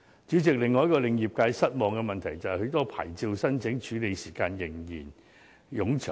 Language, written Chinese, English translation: Cantonese, 主席，另一令業界失望的問題，就是很多牌照的申請處理時間仍然冗長。, President the long processing time for the application of licences continues to be disappointing to the trade